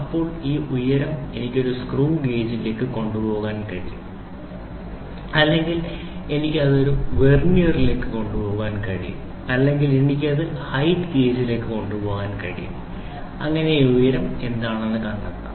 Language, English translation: Malayalam, Now with this height what I can do is I can take it to a screw gauge I can take it to a Vernier I can take it to height gauge find out what is this height find out what is that height